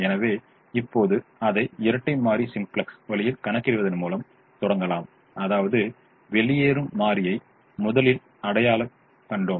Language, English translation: Tamil, so, but right now we begin by doing it in with a dual simplex way, which means we will first identify the leaving variable